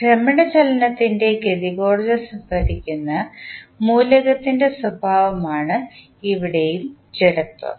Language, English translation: Malayalam, So, here also the inertia is the property of element which stores the kinetic energy of rotational motion